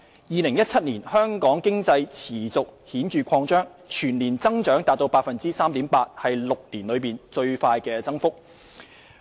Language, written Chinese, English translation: Cantonese, 2017年，香港經濟持續顯著擴張，全年增長達 3.8%， 是6年來最大增幅。, In 2017 Hong Kong economy saw continued expansion with an annual growth of up to 3.8 % also the largest increase in six years